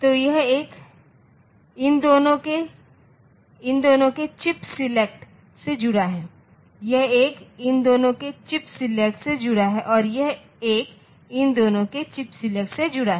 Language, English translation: Hindi, So, this one is connected to the chip select of these two, this one is connected to the chip select of these two, and this one is connected to the chip select of these two